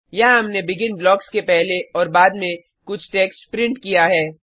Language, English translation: Hindi, Here, we have printed some text before and after BEGIN blocks